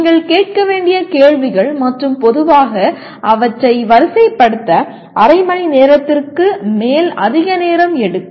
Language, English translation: Tamil, And whole bunch of questions you have to ask and generally that takes lot more time than half an hour to sort out